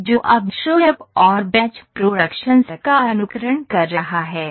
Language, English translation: Hindi, So, this is simulating the job shop and the batch productions here